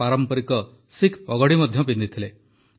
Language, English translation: Odia, He also wore the traditional Sikh turban